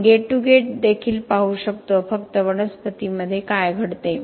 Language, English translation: Marathi, We can also look at gate to gate only what happens within a plant